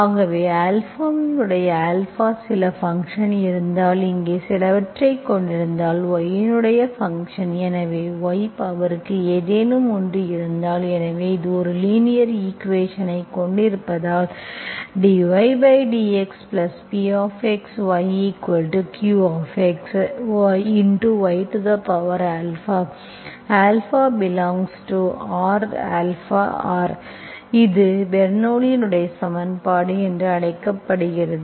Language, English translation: Tamil, So if I have some function of Alpha, so if I have some Alpha here, so function of y, so y power something, so this is called, for have a linear equation, only right inside is involved in Q x into some by power Alpha, Alpha belongs to real, I called Bernoulli s equation, is called Bernoulli s equation